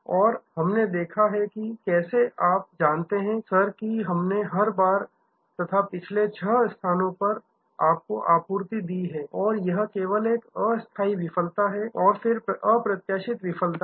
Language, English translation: Hindi, And we have seen that how and you know sir that, we have every time deliver to you and the last six locations and this is just temporary failure and then, unforeseen failure